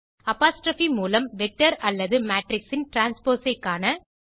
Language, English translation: Tamil, Find the transpose of vector or matrix using apostrophe